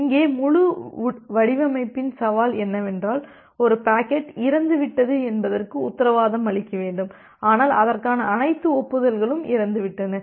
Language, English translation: Tamil, Well our entire design challenge here is that, we need to guarantee not only that a packet is dead, but all acknowledgement of it are also dead